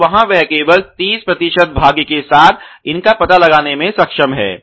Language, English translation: Hindi, And there he is able to only detect these with 30 percent luck ok